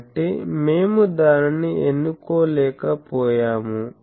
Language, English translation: Telugu, So, we could not choose that